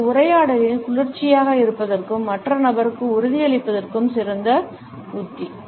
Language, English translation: Tamil, In this dialogue the best strategy to remain cool and assuring towards the other person